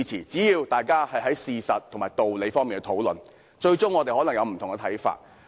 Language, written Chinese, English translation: Cantonese, 只要大家基於事實和道理進行討論，縱使我們最終可能看法不同。, So long as we have our discussions on the basis of facts and principles it does not matter if we may eventually come up with different views